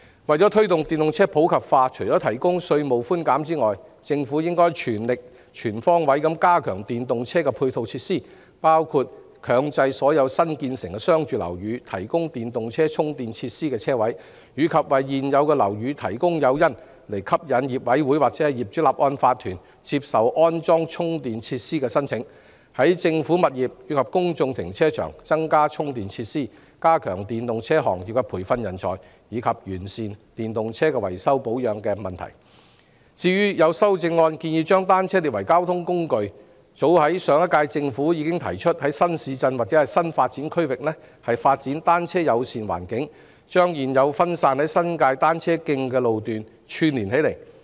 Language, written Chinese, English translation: Cantonese, 為了推動電動車普及化，除提供稅務寬減外，政府應全力及全方位加強電動車的配套設施，包括強制所有新建成的商住樓宇提供電動車充電設施車位，以及為現有樓宇提供誘因，吸引業主委員會或業主立案法團接受安裝充電設施的申請；在政府物業及公眾停車場增加電動車充電設施；加強為電動車行業培訓人才，以及完善電動車的維修保養服務。至於有議員的修正案建議把單車列為交通工具，其實上屆政府已提出在新市鎮或新發展區發展"單車友善"環境，把現有零散的新界單車徑串連起來。, In order to promote the popularization of electric vehicles the Government should in addition to providing tax concessions make an all - out effort to comprehensively strengthen the supporting facilities for electric vehicles including mandatorily requiring all new commercial and residential buildings to provide parking spaces with charging facilities for electric vehicles providing incentives to attract owners committees or owners corporations of existing buildings to accept applications for the installation of charging facilities increasing charging facilities for electric vehicles in government premises and public car parks strengthening the training of talents for the electric vehicle industry and improving the maintenance and repair services for electric vehicles . As regards the suggestions in the amendments of some Members to designate bicycles as a mode of transport the last - term Government has in fact proposed to develop a bicycle - friendly environment in new towns and new development areas linking up the existing fragmented cycle tracks in the New Territories